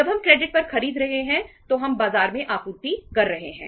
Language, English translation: Hindi, When we are buying on credit we are supplying in the market